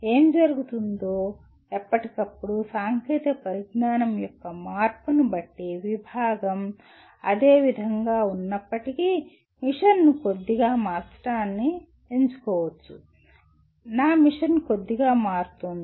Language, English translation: Telugu, What may happen, from time to time depending on the change in technology, the department may choose to slightly alter the mission even though the vision remains the same, my mission gets altered a little bit